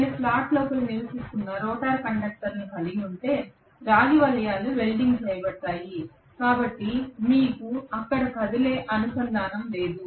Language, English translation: Telugu, If I have the rotor conductors which are residing inside the slot the copper rings will be welded, so you do not have any moving contact any where